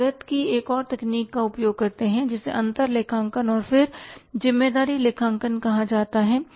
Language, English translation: Hindi, We use the other technique of costing which is called as differential accounting and then responsibility accounting